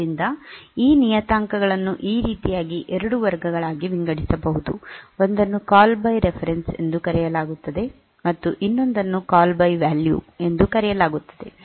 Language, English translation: Kannada, So, that way these parameters so that that can be classified into 2 classes one is called call by reference other is called call by value